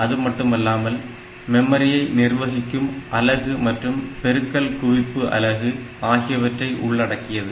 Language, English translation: Tamil, And there is a memory management unit, then there is a multiply accumulate unit